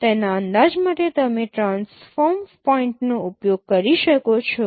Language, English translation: Gujarati, You can use the transform points to estimate it